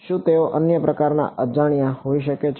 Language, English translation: Gujarati, Can they be some other kind of unknown